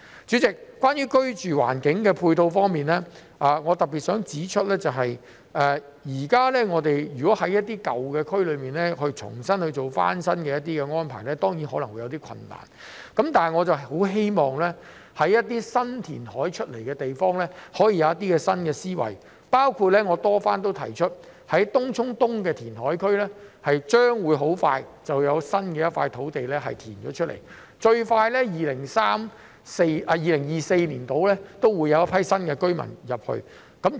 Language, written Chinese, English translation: Cantonese, 主席，在居住環境的配套方面，我想特別指出，如果現時要在一些舊區重新進行翻新，當然可能會有些困難。但是，對於一些填海得來的新土地，我很希望政府可以有些新思維，包括我曾多番提出在東涌東的填海區將很快會有一塊填海得來的土地，最快在大約2024年便會有居民遷入。, President in respect of the supporting facilities for the living environment I wish to particularly point out that while there may be some difficulties in renewing the old districts I very much hope that the Government can adopt new mindsets for new land created by reclamation including a piece of reclaimed land to be available in the Tung Chung East reclamation area that I have repeatedly mentioned and the population intake will start in around 2024 the soonest